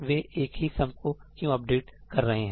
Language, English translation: Hindi, Why should they be updating the same sum